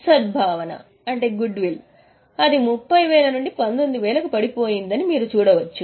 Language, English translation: Telugu, Goodwill you can see it has fallen from 30 to 19